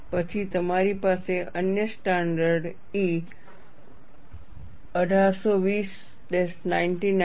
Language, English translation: Gujarati, Then you have another standard E 1820 99